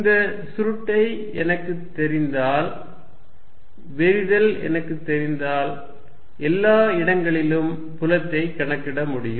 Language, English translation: Tamil, If I know this quantity the curl and if I know the divergence I can calculate field everywhere